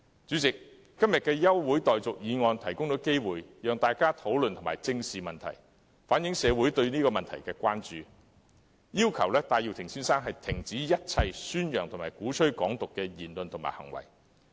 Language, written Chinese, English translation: Cantonese, 主席，今天的休會待續議案提供機會，讓大家討論和正視這個問題，同時反映社會的關注，要求戴耀廷先生停止一切宣揚和鼓吹"港獨"的言論和行為。, President the adjournment motion today has given us an opportunity to discuss and address this issue squarely while reflecting the communitys concern and call for Mr Benny TAI to cease all remarks and acts of propagating and advocating Hong Kong independence